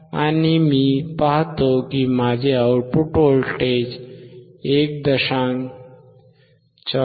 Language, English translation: Marathi, And I see that my output voltage has been reduced to 1